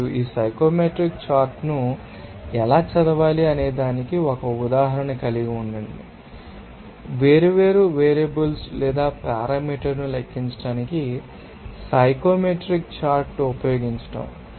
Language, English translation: Telugu, And let us have an example of how to you know, read this psychometric chart, or use the psychometric chart to calculate different, you know, variables or parameters